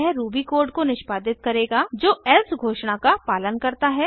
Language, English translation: Hindi, It will subsequently execute the ruby code that follows the else declaration